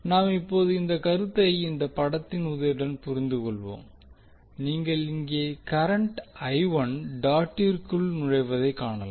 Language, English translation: Tamil, Now let us understand this particular concept with the help of this figure here if you see the current I1 is entering the dot